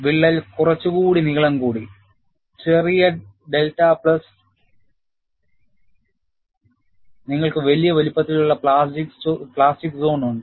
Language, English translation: Malayalam, The crack has advanced by a length, small delta a plus you have a larger sized plastic zone at the crack tip